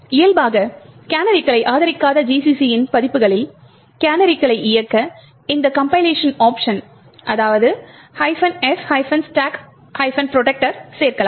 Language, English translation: Tamil, In order to enable canaries in versions of GCC which do not support canaries by default you could add these compilation option minus f –stack protector